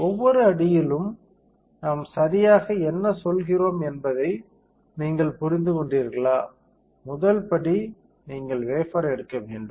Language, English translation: Tamil, So, did you understand what exactly we mean by each step; first step is you take the wafer